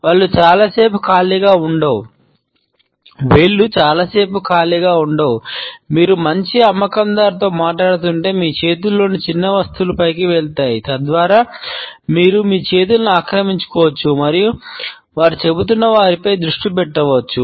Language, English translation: Telugu, The fingers are never empty for a very long time, if you are talking to a good salesperson, they would pass on petty objects in your hands so that you can occupy your hands and focus on what they are saying